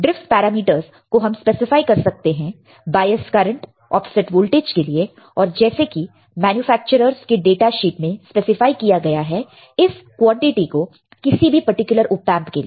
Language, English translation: Hindi, The drift parameters can be specified for the bias current offset voltage and the like the manufacturers datasheet specifies the quantity of any particular Op Amp